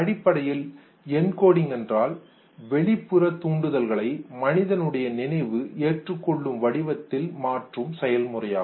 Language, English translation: Tamil, Now encoding basically is the process of transformation of a physical stimulus in a form that human memory accepts